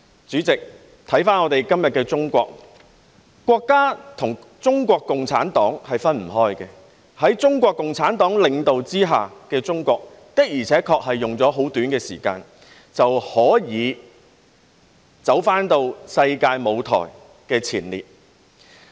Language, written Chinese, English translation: Cantonese, 主席，回顧今天的中國，國家和中國共產黨是分不開的，在中國共產黨領導下的中國，的確只花了很短的時間，便可重回世界舞台的前列。, President looking back at China today we would see that the State and the Communist Party of China CPC are inseparable . Indeed under the leadership of CPC China has taken only a short time to return to the forefront of the world stage